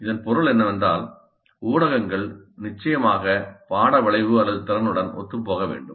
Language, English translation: Tamil, That essentially means that the media must be consistent with the course outcome or the competency